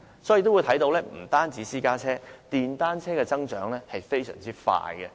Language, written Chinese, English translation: Cantonese, 所以，不單是私家車，其實電單車的數目也增長得非常快。, Therefore apart from private cars in fact the number of motorcycles is rising rapidly too